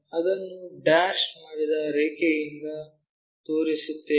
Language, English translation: Kannada, So, we show it by dashed line